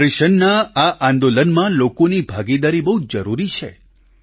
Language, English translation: Gujarati, In this movement pertaining to nutrition, people's participation is also very crucial